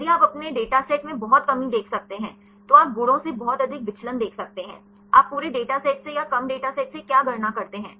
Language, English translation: Hindi, If you can see much reduction in your data sets, then you can see much deviation from the properties; what you calculate from the whole data set or from the reduced data set